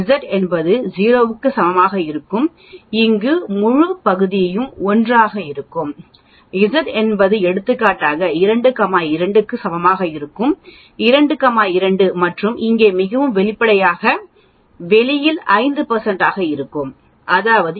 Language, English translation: Tamil, When Zis equal to 0 that means here the whole area will be 1, when is Z is equal to for example 2, 2 sigma that is 2 and here so obviously, the outside should be around 5 percent that is what it is showing approximately 0